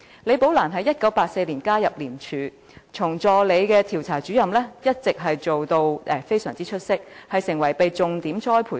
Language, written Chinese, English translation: Cantonese, 李寶蘭在1984年加入廉署，由助理調查主任做起，工作表現一直非常出色，並成為重點栽培人員。, Ms LI joined ICAC as an Assistant Investigator in 1984 and has since then been performing with flying colours rendering her an officer selected for focused training